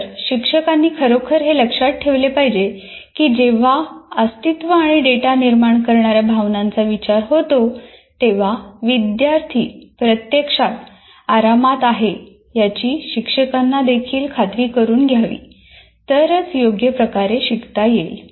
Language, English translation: Marathi, So this is what teachers should really, really remember that if data from these two affecting survival and data generating emotions, when it comes first, that means teacher should also make sure that the student actually feels comfortable with respect to this, then only he can learn properly